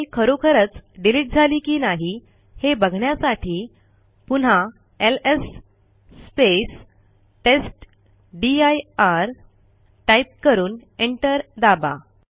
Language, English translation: Marathi, To see that the file has been actually removed or not.Let us again press ls testdir and press enter